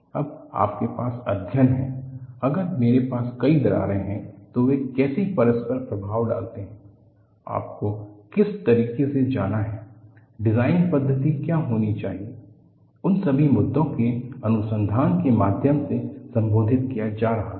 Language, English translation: Hindi, Now, you have studies, if I have multiple cracks how do they interact, which way you have to go about, what should be the reason for methodology, all those issues are being addressed to research